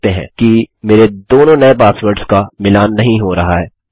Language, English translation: Hindi, You can see that my two new passwords dont match